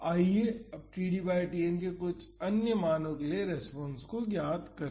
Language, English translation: Hindi, Now, let us see the response for td by Tn is equal to half